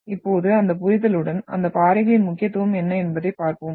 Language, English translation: Tamil, Now with that understanding, let us look at what is the importance of those rocks